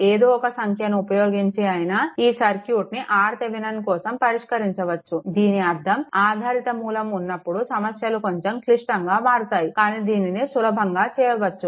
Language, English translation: Telugu, Some numerical value you do and you have solve this circuit to get the R Thevenin; that means, whenever dependent source is coming that numericals becoming little bit complicated, but easiest way to do it right